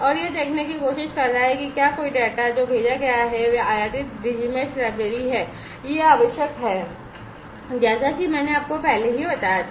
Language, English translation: Hindi, And it is trying to look for whether any there is any data that has been sent and this is this imported Digi Mesh library this is required as I told you already